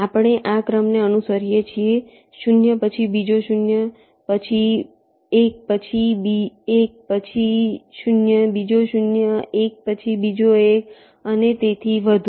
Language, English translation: Gujarati, we are following this sequence: zero, then another zero, then a one, then another one, then a zero, another zero, one, then another one, and so on